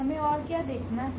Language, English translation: Hindi, What else we have to observe